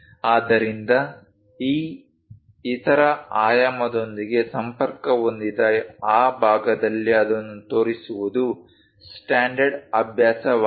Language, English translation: Kannada, So, the standard practice is to show it on that side connected with this other dimension